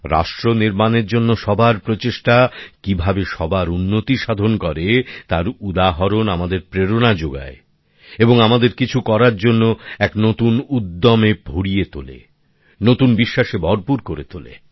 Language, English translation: Bengali, The examples of how efforts by everyone for nation building in turn lead to progress for all of us, also inspire us and infuse us with a new energy to do something, impart new confidence, give a meaning to our resolve